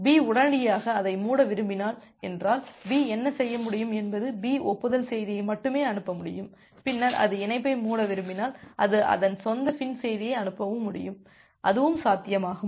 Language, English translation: Tamil, If B does not want to close it immediately then what B can do that B can only sends the acknowledgement message and later on when it wants to close the connection, it can sends the its own FIN message that is also possible